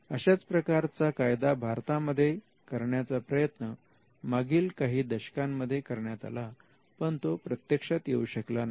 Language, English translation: Marathi, There was an attempt to pass a similar Act in the last decade, but that did not materialize in India